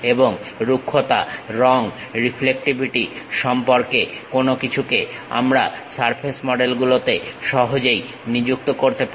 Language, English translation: Bengali, And anything about roughness, color, reflectivity; we can easily assign it on surface models